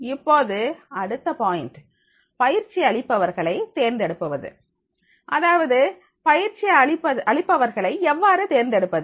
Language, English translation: Tamil, Now the next point is the choosing the trainer, that is how to choose the trainer